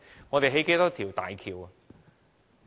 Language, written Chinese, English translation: Cantonese, 我們興建多少大橋？, How many bridges have we built?